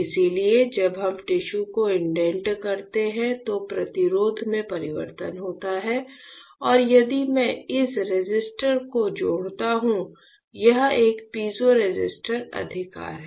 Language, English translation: Hindi, So, when we indent the tissue there is a change in resistance and if I just connect this resistor; this is a piezoresistor right